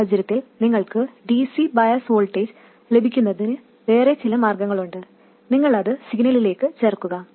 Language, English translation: Malayalam, In this case you have some other way of obtaining the DC bias voltage and you add that to the signal